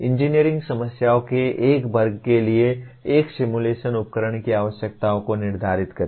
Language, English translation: Hindi, Determine the requirements of a simulation tool for a class of engineering problems